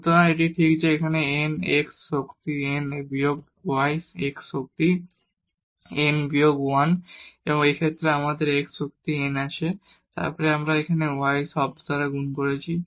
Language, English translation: Bengali, So, this is exactly here n x power n and minus y x power n minus 1 and in this case we have x power n and then we have multiply it here by y term